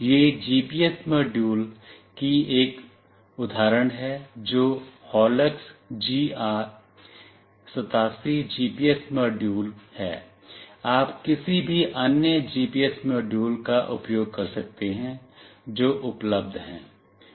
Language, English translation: Hindi, This is one example GPS module that is HOLUX GR 87 GPS module, you can use any other GPS module that is available